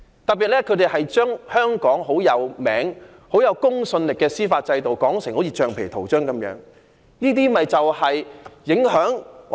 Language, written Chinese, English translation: Cantonese, 特別是他們把香港見稱於國際並具公信力的司法制度說成如橡皮圖章一樣。, In particular they regarded the judicial system of Hong Kong which is internationally renowned and credible as a rubber stamp